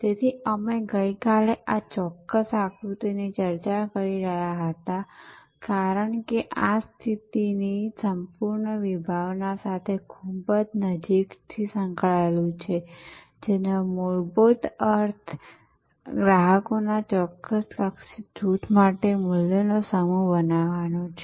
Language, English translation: Gujarati, So, we were discussing yesterday this particular diagram, because this is very closely associated with the whole concept of positioning, which fundamentally means creating a set of values for a certain targeted group of customers